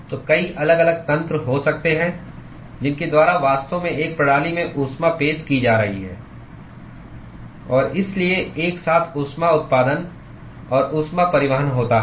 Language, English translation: Hindi, So, there could be many different mechanisms by which heat is actually being introduced into a system, and so, there is a simultaneous heat generation and heat transport